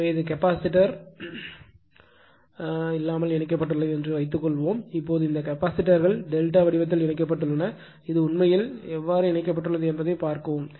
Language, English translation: Tamil, So, this is without capacitor suppose it is connected; now, this capacitors are connected in delta form this is given just you see yourself that how actually things are connected right